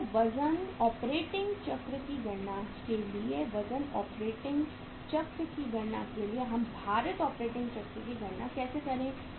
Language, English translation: Hindi, So for calculating the weight operating cycle, for calculating the weight operating cycle how would we calculate the weighted operating cycle